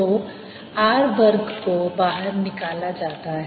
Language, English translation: Hindi, so r square is taken out